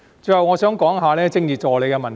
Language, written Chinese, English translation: Cantonese, 最後，我想談談政治助理的問題。, Finally I wish to talk about Political Assistants